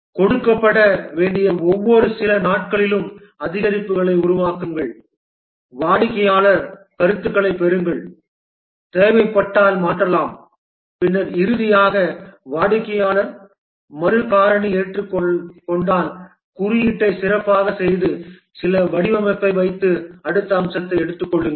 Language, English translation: Tamil, Develop over increment every few days increments to be given get customer feedback, alter if necessary and then finally once accepted by the customer refactor, make the code better, put some design and then take up the next feature